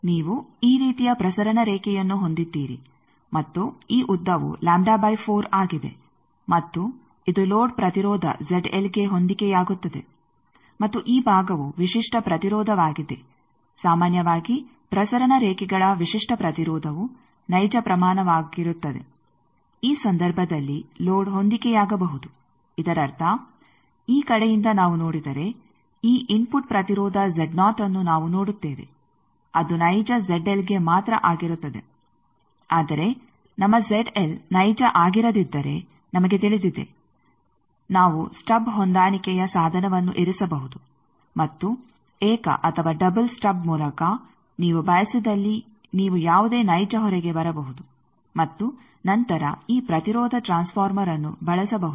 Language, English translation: Kannada, You have a transmission line like this and this length is lambda by 4 and it matches as you see that it matches a load impedance Z L and this side the characteristic impedance usually characteristic impedance of transmission lines are real quantities, load in this case it can match that means, from this side if we see we will be seeing this input impedance that will be Z naught only for real Z L, but we know that if our Z L is not real we can place an stub matching device and by single or double stub whatever you prefer you can come to any real load and then this impedance transformer can be used